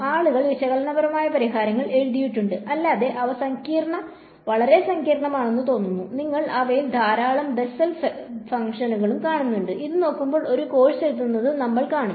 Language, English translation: Malayalam, So, people have written analytical solutions, not that they are easy seems very complicated when you look at them lots of Bessel functions and this and that and we will see a lot of writing this course ah